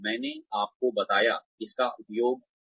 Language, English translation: Hindi, I told you, how it is used